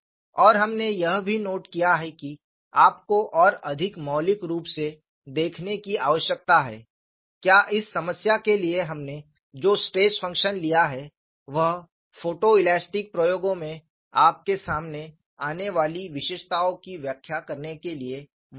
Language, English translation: Hindi, And we have also noted that you need to look at much more fundamentally, whether the stress function we have taken for this problem is a valid one, to explain the features that you come across in photo elastic experiments